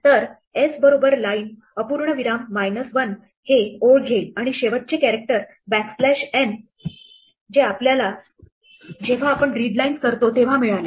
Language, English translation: Marathi, So, s is equal to line colon minus 1, will take the line and the strip of the last character which is typically backslash n that we get, when we do readlines